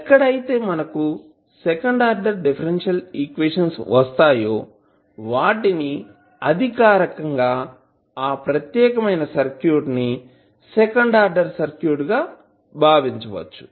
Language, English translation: Telugu, So, when we have second order differential equation which governs that particular circuit that means that circuit can be considered as second order circuit